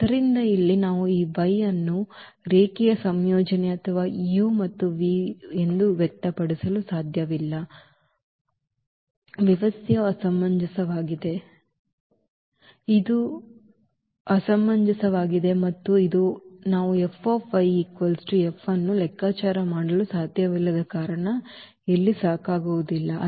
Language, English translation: Kannada, So, here we cannot express this y as a linear combination or this u and v and therefore, the system is inconsistence, it is inconsistent and this as a reason that we cannot we cannot compute this F of F of y because the information given is not sufficient here